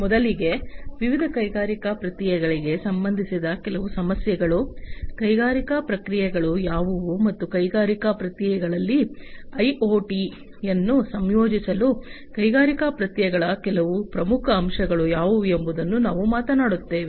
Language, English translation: Kannada, To start with, we will talk about some of the issues concerning different industrial processes, what industrial processes are, and what are some of the important aspects of industrial processes that need to be understood in order to incorporate IoT into the industrial processes